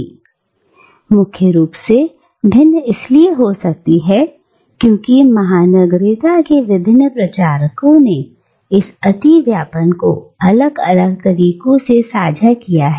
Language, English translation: Hindi, And can be different primarily because different commentators of cosmopolitanism, have understood this overlapping in different ways